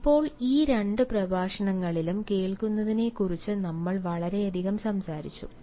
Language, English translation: Malayalam, now, we have been speaking a lot over listening in these two lectures